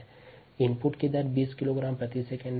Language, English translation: Hindi, rate of input is twenty kilogram per second